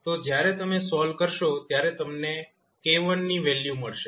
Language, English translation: Gujarati, So, when you solve, you will get simply the value of k1